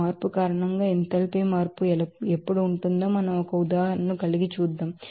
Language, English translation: Telugu, Let us have an example when there will be enthalpy change because of that a change